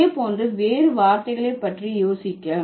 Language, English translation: Tamil, Think about other words in the similar lines